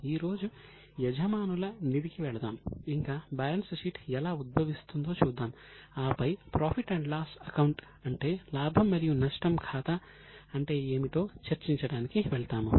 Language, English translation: Telugu, Today we will go into owners fund, then we will see the process how the balance sheet emerges and then we will go to discuss what is a profit and loss account